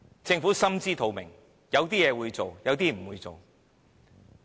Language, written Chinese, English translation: Cantonese, 政府心知肚明，有些事它會做，有些事它不會做。, It knows full well that there are things it will do and there are things it will not do